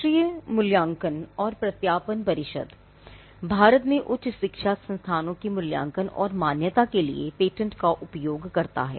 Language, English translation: Hindi, The National Assessment and Accreditation Council also uses patents when it comes to assessing and accrediting higher education institutions in India